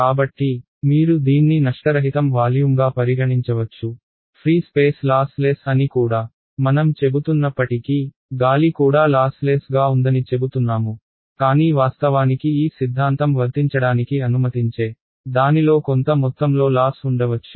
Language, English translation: Telugu, So, that you can effectively treat it like a lossless volume ok; even though we say free space is lossless right even air we say its lossless, but actually there might be some really tiny amount of loss in it which allows this theorem to be applicable question